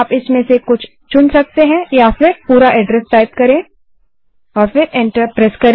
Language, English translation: Hindi, You may choose one of these or type in the complete address and press enter